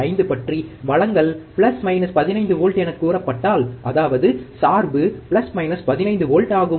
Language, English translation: Tamil, 5, if the supply is said to be plus minus 15 volts, that is, the bias is plus minus 15 volts